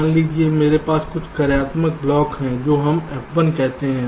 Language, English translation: Hindi, suppose i have a few functional blocks, lets say f one